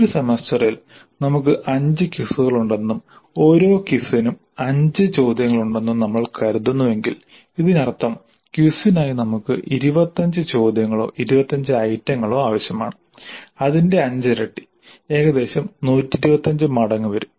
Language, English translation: Malayalam, So, if you assume that in a semester we are having 5 quizzes, 5 quizzes in the semester and each quiz has 5 questions, that means that totally we need 25 questions or 25 items for quizzes